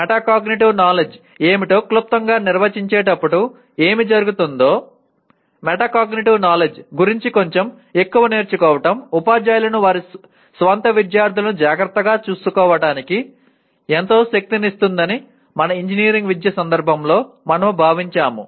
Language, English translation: Telugu, And what happens is while we define what a Metacognitive knowledge briefly, we felt in the context of our engineering education that learning a little more about metacognitive knowledge will greatly empower the teachers to take care of their own students